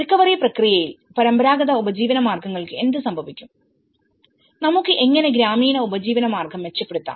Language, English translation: Malayalam, So, in the recovery process what happens to the traditional livelihoods, what happens to that, how we can enhance the rural livelihoods